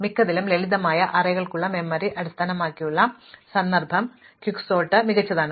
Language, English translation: Malayalam, In most, memory based context for simple arrays, quick sort is the best